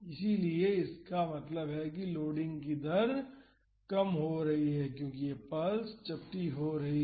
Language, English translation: Hindi, And, so; that means, the rate of loading is getting lower as this pulse is getting flatter